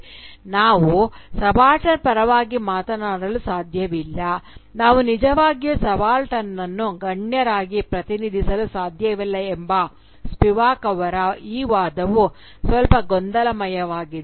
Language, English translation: Kannada, Now, this argument of Spivak that we cannot speak for the subaltern, we cannot really represent the subaltern as elites, is slightly confusing